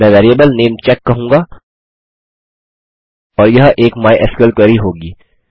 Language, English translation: Hindi, I will call the variable namecheck and this will be a mysql query